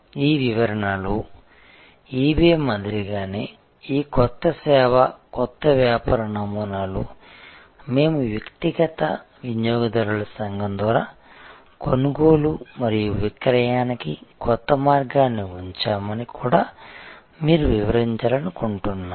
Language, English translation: Telugu, And I would also like you to describe that just like in case of eBay under this description, this new service new business model we have put a new way of buying and selling through a community of individual users